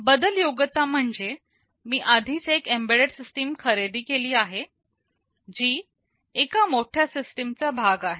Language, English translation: Marathi, Maintainability says that I have already purchased an embedded system as part of a larger system